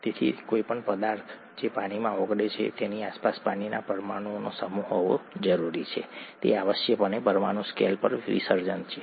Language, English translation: Gujarati, So any substance that dissolves in water needs to have a set of water molecules that surround it, that’s essentially what dissolution is at a molecule scale